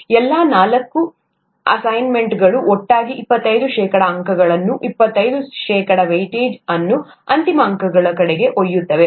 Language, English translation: Kannada, All the four assignments together would carry twenty five percent marks, twenty five percent weightage toward the final marks